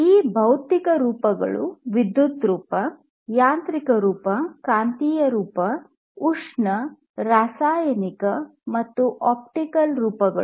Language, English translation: Kannada, And these physical forms could be like electrical form, mechanical form you know magnetic form, thermal, chemical, optical, and so on